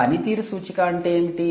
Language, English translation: Telugu, what is a performance indicator